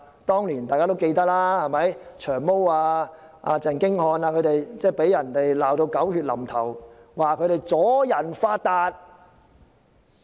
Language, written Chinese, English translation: Cantonese, 大家也記得，當年"長毛"和鄭經翰被罵得狗血淋頭，指他們"阻人發達"。, As we may recall Long Hair and Albert CHENG were cursed viciously and criticized as stopping others from making a fortune